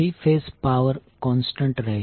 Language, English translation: Gujarati, The three phased power will remain constant